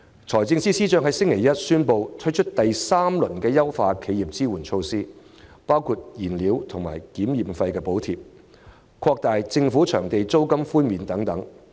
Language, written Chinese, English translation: Cantonese, 財政司司長在星期一宣布第三輪支援企業措施，包括燃料和檢驗費補貼、擴大政府場地的租金寬免範圍等。, On Monday the Financial Secretary announced a third round of measures to support enterprises which include fuel and survey fee subsidies and an extension of the coverage of rental concession of government venues